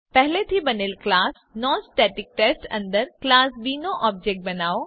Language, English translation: Gujarati, Create an object of class B in the class NonStaticTest already created